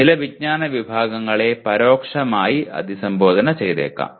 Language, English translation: Malayalam, Some knowledge categories may be implicitly addressed